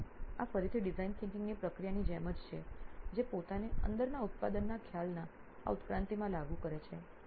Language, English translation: Gujarati, So this again it is like the same process of design thinking applying itself into this evolution of the product concept within itself